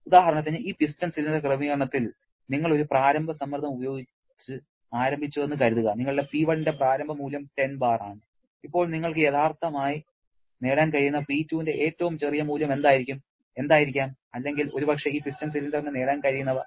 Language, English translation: Malayalam, Like suppose, for example, in this piston cylinder arrangement, you have started with an initial pressure say your initial value of P1 is something like 10 bar, then what can be the smallest value of P2 that you can realistically achieved or maybe this piston cylinder can achieve